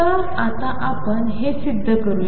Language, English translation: Marathi, So, let us now prove these